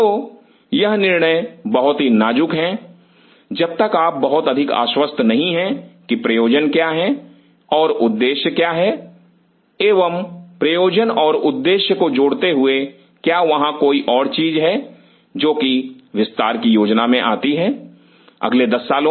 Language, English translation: Hindi, So, these decisions are very critical provided you are very sure what is the purpose and what is the objective and adding to the purpose and the objective is there is another thing which comes is plan for expansion in next 10 years